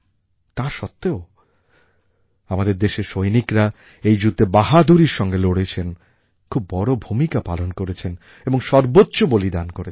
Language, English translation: Bengali, Despite this, our soldiers fought bravely and played a very big role and made the supreme sacrifice